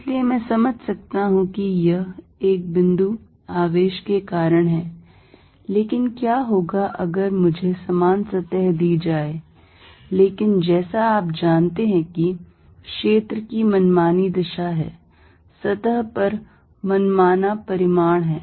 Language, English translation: Hindi, So, I could sense that this is due to a point charge, but what about if I am given the same surface, but field is you know has arbitrary direction, arbitrary magnitude on the surface